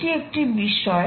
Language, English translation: Bengali, that is an issue